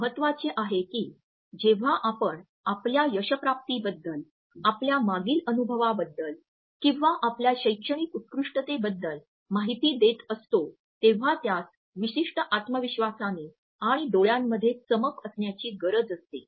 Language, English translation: Marathi, It is important that when you are giving information about your achievements, about your past experience or your academic excellence then it has to be given with a certain level of confidence and sparkle in the eyes